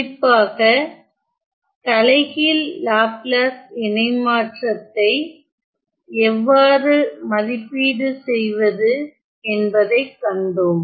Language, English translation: Tamil, And also, specifically how to evaluate the inverse of the Laplace transform